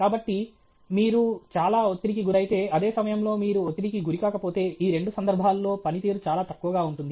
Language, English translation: Telugu, So, if you are extremely stressed, at the same time you are not stressed under both these cases the performance will be very less